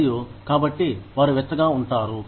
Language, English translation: Telugu, And, so that, they stay warm